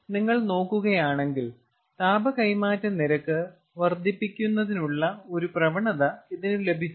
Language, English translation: Malayalam, if you see, this has got a tendency to increase the rate of heat transfer